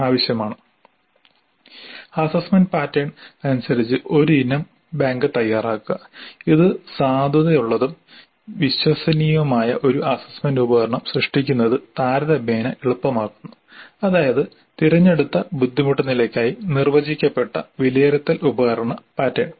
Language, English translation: Malayalam, And an item bank as per the assessment pattern which makes it relatively easy to create an assessment instrument that is valid and reliable and a defined assessment instrument pattern for a chosen difficulty level